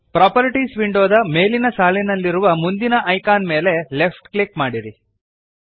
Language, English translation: Kannada, Left click the next icon at the top row of the Properties window